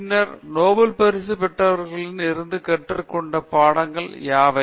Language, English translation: Tamil, Then, what are the lessons we learned from lives of Nobel Laureates